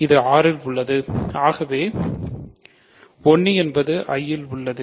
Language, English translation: Tamil, So, this is in R this is in I, 1 is in I